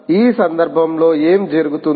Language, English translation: Telugu, in this case, what will happen